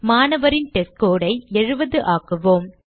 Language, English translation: Tamil, Now, change the testScore of the student to 70